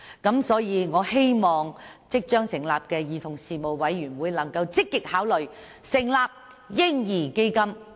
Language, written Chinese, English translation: Cantonese, 因此，我希望即將成立的兒童事務委員會能夠積極考慮設立"嬰兒基金"。, Therefore I hope the Commission on Children that is soon to be set up can actively consider the establishment of a Baby Fund